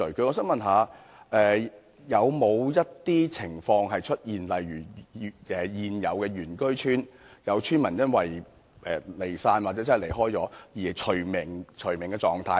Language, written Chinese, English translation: Cantonese, 我想問有沒有出現過一些情況，例如現有原居村因有村民離散或離開而被除名的情況？, I would like to ask if there is any instances in which say an indigenous village was delisted due to scattering or departure of its villagers?